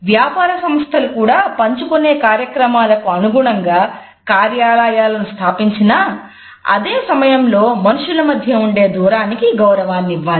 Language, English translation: Telugu, Companies also require suitable offices for sharing activities, but at the same time they have to allow the respect for distances which should exist between people